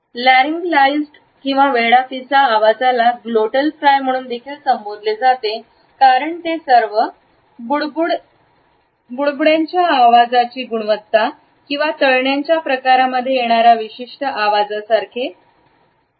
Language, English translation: Marathi, A Laryngealized or creaky voice is also referred to as a glottal fry because of it is bubbling quality, a frying like quality